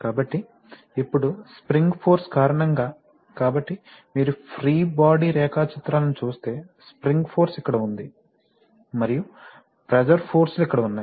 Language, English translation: Telugu, So, the force on the, so the, now because of the spring force, so if you see free body diagrams the spring force is here and the pressure forces are here, also on these